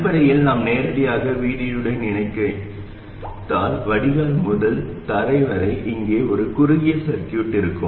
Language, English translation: Tamil, Basically if we connect it directly to VD we will have a short circuit here right from the drain to ground